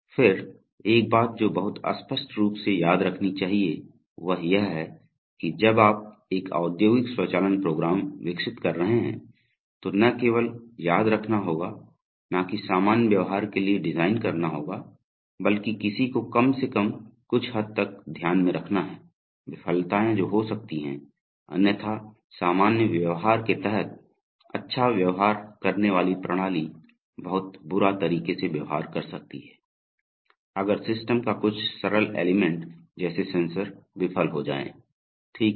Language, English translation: Hindi, Then one thing that must be very clearly remembered is that, when you are developing an industrial automation program, one not only has to remember, not only has to design for normal behavior but one must, to some extent at least take into account the possible failures that can occur, otherwise a system that behaves well under normal behavior can behave in a very nasty manner, if some simple element of the system like a sensor fails, right